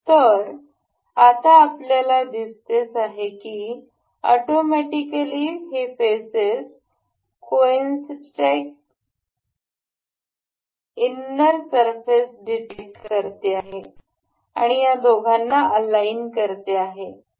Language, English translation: Marathi, So, now, we can see it has automatically detected the faces and the concentric inner surfaces and it has aligned the two